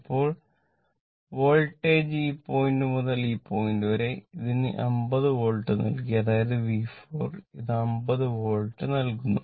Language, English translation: Malayalam, Now, Voltage , from this point to this point right, this is given your 50 Volt right, this is your 50 Volt , that is your V 4 , this is your given 50 Volt